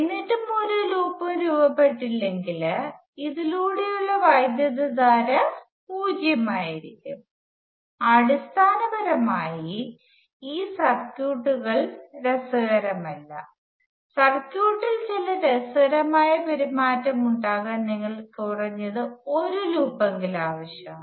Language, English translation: Malayalam, Still if the no loop is formed at all then the current through this will be zero basically these circuits are not interesting at all to have some interesting behavior in the circuit you need to have at least one loop